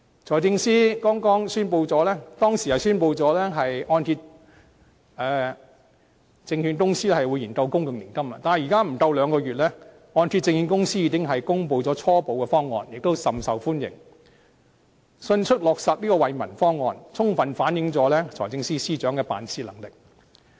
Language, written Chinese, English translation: Cantonese, 財政司司長之前宣布按揭證券公司會研究公共年金，但距離現在不足兩個月，按揭證券公司已公布初步方案，亦甚受歡迎，迅速落實這項惠民方案，充分反映財政司司長的辦事能力。, Earlier on the Financial Secretary announced that the Hong Kong Mortgage Corporation Limited HKMC would study a public annuity scheme . Within only two months HKMC has already announced a preliminary proposal . Since it gains support from the public this initiative can be implemented quickly for the benefit of the public